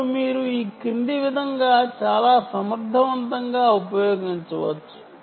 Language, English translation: Telugu, now you can use this very effectively in the following way